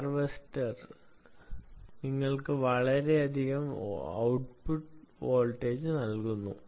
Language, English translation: Malayalam, vibration harvesters essentially give you a lot more voltage output